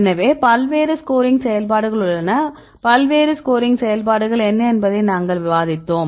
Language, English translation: Tamil, So, there is various scoring functions, we discussed what are the various scoring functions